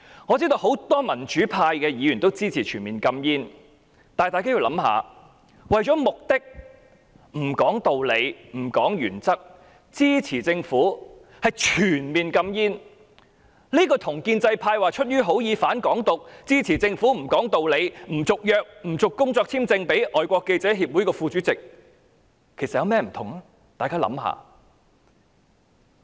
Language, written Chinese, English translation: Cantonese, 我知道很多民主派議員均支持全面禁煙，但大家要想一想，為了目的而不談道理和原則，支持政府全面禁煙，這與建制派聲稱出於好意而"反港獨"，支持政府不講理地不批出工作簽證予香港外國記者會的副主席，究竟有何不同？, I know that many Democrats support the ban . But everyone must think about this Is there any difference between supporting the Governments total ban on smoking without considering the reasons and principles because of the purpose and the pro - establishment camps supporting the Governments refusal to issue work visa to the Vice Chairman of the Foreign Correspondents Club without justification by claiming that the Government has acted with the good intention of anti - Hong Kong independence?